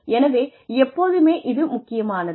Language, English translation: Tamil, So, it is very important